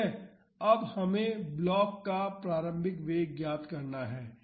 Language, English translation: Hindi, So, now, we have to find out the initial velocity of the block